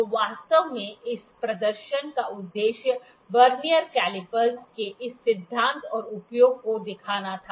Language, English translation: Hindi, So, this was actually the purpose of this demonstration was to show the show this principle and use of the Vernier caliper